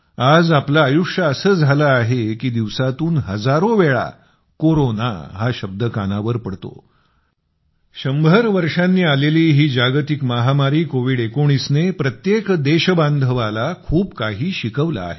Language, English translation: Marathi, the condition of our lives today is such that the word Corona resonates in our ears many times a day… the biggest global pandemic in a hundred years, COVID19 has taught every countryman a lot